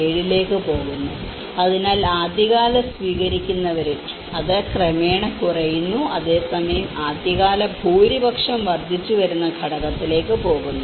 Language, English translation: Malayalam, 7, so the early adopters so it gradually reduces and whereas, the early majority it goes on an increasing component